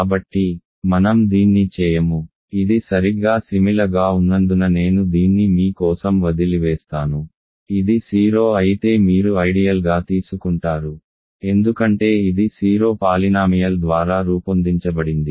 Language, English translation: Telugu, So, I will not do this, I will leave it for you to do because it is exactly similar: you take an ideal if it is 0 you are done because it is generated by the 0 polynomial